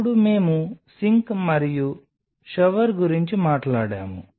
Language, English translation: Telugu, Then we talked about the sink and the shower